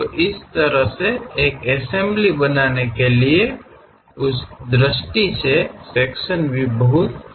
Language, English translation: Hindi, So, this is the way one has to make assembly; for that point of view the sectional views are very helpful